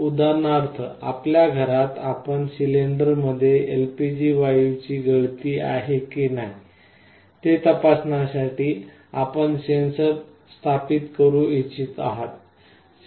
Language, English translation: Marathi, For example, in your home you want to install a sensor to check whether there is a leakage of your LPG gas in the cylinder or not